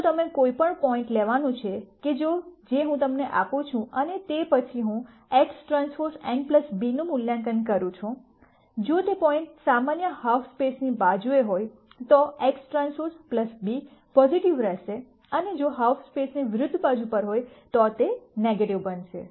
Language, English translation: Gujarati, If you were to simply take any point that I give you and then I evaluate X transpose n plus b, if that point is on the side of the normal half space then X transpose n plus b will be positive, and if its on the half space in the opposite side then its going to be negative